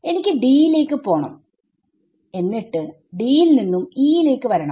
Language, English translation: Malayalam, So, I have to go to D and from D, come to E